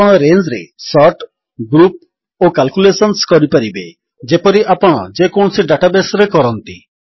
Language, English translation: Odia, You can sort, group, search, and perform calculations on the range as you would in any database